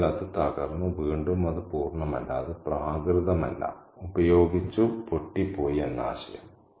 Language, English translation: Malayalam, So, it's broken and again the idea that it is not complete, it's not pristine, it has been used, it has been worn down, worn out